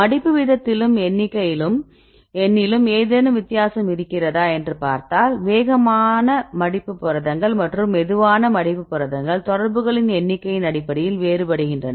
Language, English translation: Tamil, Now if we see whether any difference in the folding rate and the number and the fast folding proteins and the slow folding proteins based on number of contacts